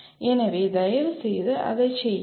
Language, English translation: Tamil, So please do that